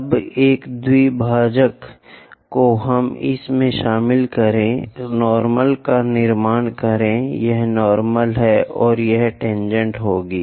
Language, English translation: Hindi, Now, make a bisector join it, construct normal, this is normal, and that will be tangent